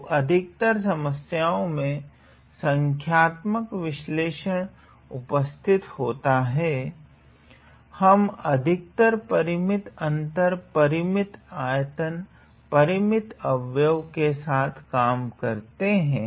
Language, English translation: Hindi, So, in most of the problems involving numerical analysis, we quite often deal with finite difference finite volume finite element